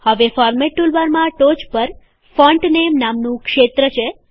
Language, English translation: Gujarati, Now in the Format tool bar at the top, we have a field, named Font Name